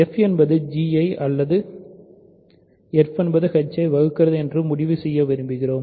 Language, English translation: Tamil, We would like to conclude that f divides either g or f divides h